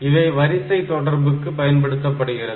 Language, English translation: Tamil, So, these are for serial communication